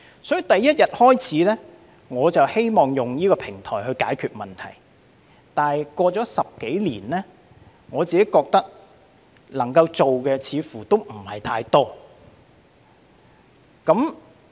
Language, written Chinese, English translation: Cantonese, 所以，從第一天開始，我便希望利用這平台來解決問題，但經過10多年，我覺得能夠做的似乎不太多。, So since my first day I have hoped to make use of this platform to solve these problems . But a decade or so have passed and it seems that there is not much I can do